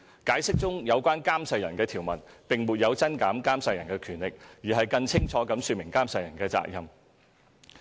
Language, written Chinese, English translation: Cantonese, 《解釋》中有關監誓人的條文，並沒有增減監誓人的權力，而是更清楚地說明監誓人的責任。, The provision in the Interpretation concerning the person administering the oath does not increase or diminish his or her powers but rather gives a clearer elucidation of his or her duties